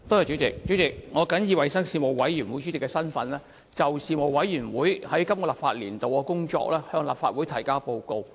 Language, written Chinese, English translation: Cantonese, 主席，我謹以衞生事務委員會主席的身份，就事務委員會在本立法年度的工作，向立法會提交報告。, President in my capacity as Chairman of the Panel on Health Services the Panel I now table before the Legislative Council the Panels work report for this legislative session